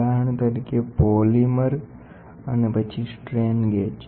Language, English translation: Gujarati, For example, polymer and then strain gauges